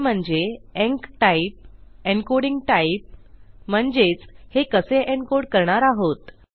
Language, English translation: Marathi, Its enctype, encoding type which means how we are going to encode this